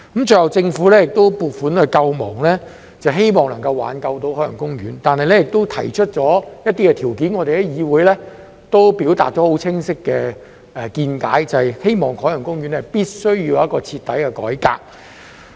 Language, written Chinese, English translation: Cantonese, 最後，政府要撥款救亡，希望能挽救海洋公園，並且提出一些條件，我們在議會已表達了清晰的見解，就是希望海洋公園必須有一個徹底改革。, Eventually the Government had to inject funds to save OP hoping to give OP a conditional lifeline . We have expressed our views clearly in the legislature that OP needs an overhaul